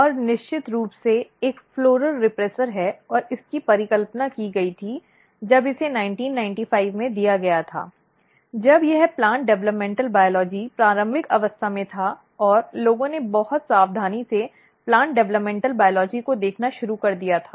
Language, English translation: Hindi, And definitely there is a floral repressor there is a strong this is the hypothesized when it was given in 1995 when the plant developmental biology was still at the early stage and people have started looking very carefully plant developmental biology